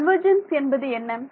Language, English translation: Tamil, So, what is convergence